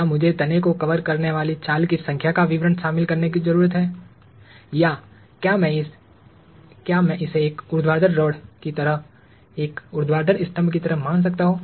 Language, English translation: Hindi, Do I need to include the details of the number of scales covering the trunk or can I just treat this like a vertical rod, like a vertical pillar